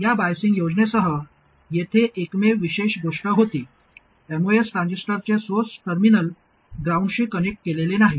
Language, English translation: Marathi, The only thing special here was with this biasing scheme, the source terminal of the most transistor is not connected to ground